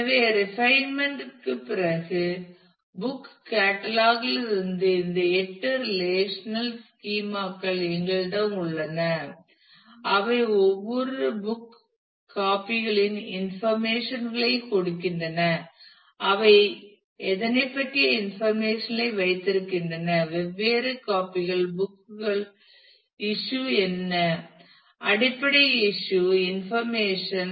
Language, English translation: Tamil, So, after refinement now we have these eight relational schema from book catalogue to give the details of every book copies which keeps the information about, how many; what are the different copies book issue; is the basic issuing information